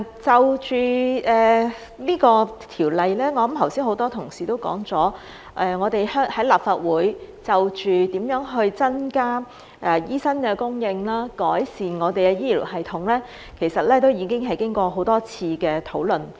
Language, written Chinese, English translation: Cantonese, 關於《條例草案》，剛才很多同事都說，我們在立法會就如何增加醫生的供應及改善我們的醫療系統，其實都經過多次討論。, Regarding the Bill as many colleagues have just said we have actually had many discussions in the Legislative Council on how to increase the supply of doctors and improve our healthcare system